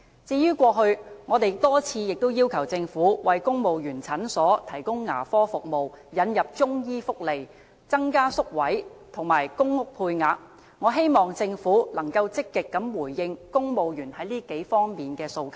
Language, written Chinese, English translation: Cantonese, 我們過去亦已多次要求政府為公務員診所提供牙科服務、引入中醫福利、增加宿位和公屋配額，我希望政府能夠積極回應公務員在這數方面的訴求。, In the past we have repeatedly asked the Government to provide dental services in government clinics add Chinese medicine into the remuneration package and increase quarters and public housing quota . I hope the Government can expeditiously respond to these aspirations of civil servants